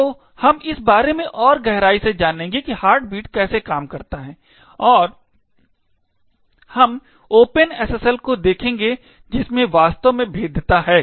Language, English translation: Hindi, deeper into how the heartbeat actually works and we will look at the open SSL code which actually have the vulnerability